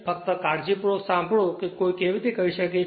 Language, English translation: Gujarati, Just listen carefully that how you can do it